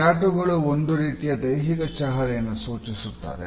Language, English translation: Kannada, Tattoos represent a specific form of body language